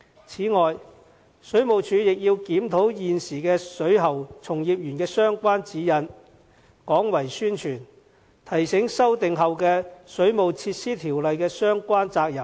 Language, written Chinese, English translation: Cantonese, 此外，水務署亦要檢討現時水喉從業員的相關指引，廣為宣傳，提醒修訂後的《水務設施條例》的相關責任。, Besides the Water Supplies Department also has to review its guidelines and step up its publicity efforts to remind plumbing practitioners of their possible liabilities under the amended Waterworks Ordinance